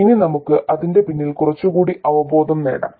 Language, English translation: Malayalam, Now, let's get some more intuition behind it